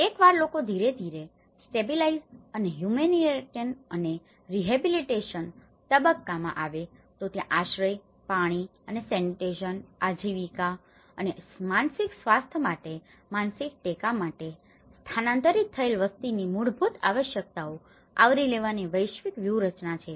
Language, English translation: Gujarati, Once, people gradually stabilize and rehabilitation the humanitarian phase this is where the global strategies to cover basic needs of displaced population in shelter, water and sanitation, livelihood and also the psychological support for mental health